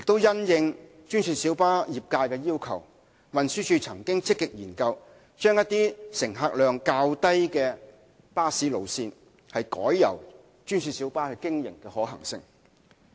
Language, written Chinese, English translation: Cantonese, 因應專線小巴業界的要求，運輸署亦曾積極研究，將一些乘客量較低的巴士路線改由專線小巴經營的可行性。, In response to the request of the GMB trade TD has also actively studied the feasibility of converting certain bus routes of lower patronage into GMB routes